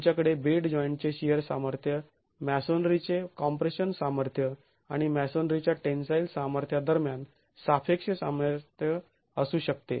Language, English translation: Marathi, You can have the relative strength between the bed joint shear strength, the flexual compression strength of masonry and the tensile strength of masonry